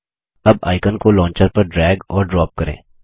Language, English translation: Hindi, Now, drag and drop the icon to the Launcher